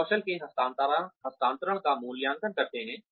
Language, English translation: Hindi, We evaluate transfer of skills